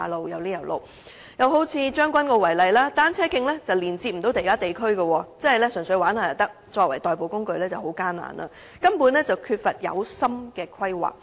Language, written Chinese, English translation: Cantonese, 又以將軍澳為例，單車徑不能連接其他地區，純屬玩樂，作為代步工具則很艱難，根本缺乏有心的規劃。, Another example is Tseung Kwan O . The cycle tracks there are disconnected from other districts and they can merely serve the leisure purpose . So bicycles can hardly be promoted as an alternative mode of transport due to an utter lack of zealous planning